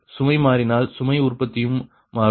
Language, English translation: Tamil, if change, the load generation will change